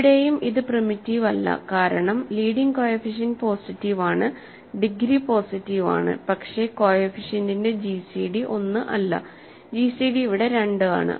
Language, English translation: Malayalam, Here also its not primitive because leading coefficient is positive, degree is positive, but the gcd of the coefficient is not 1, but gcd is 2 here